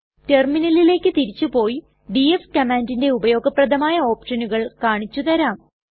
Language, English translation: Malayalam, Let us shift to the terminal, I shall show you a few useful options used with the df command